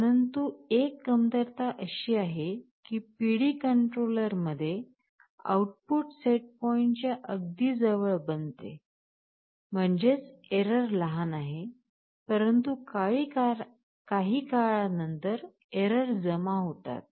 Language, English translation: Marathi, But one drawback is that that in the PD control the output becomes close to the set point; that means, the error is small, but errors tend to accumulate over a period of time